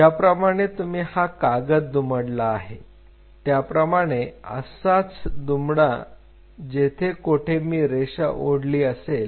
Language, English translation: Marathi, Just like you have done paper folding you fold this wherever I drew the line you fold it